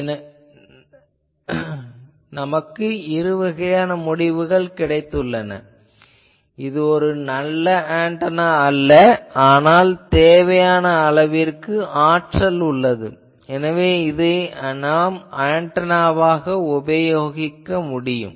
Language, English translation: Tamil, So, this is a dichotomy that shows that it is not a good antenna, but where power is sufficiently available you can use these as an antenna